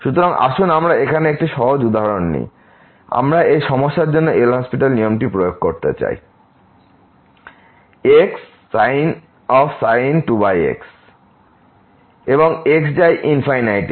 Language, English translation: Bengali, So, let us take a simple example here, we want to apply this L’Hospital rule to this problem over and goes to infinity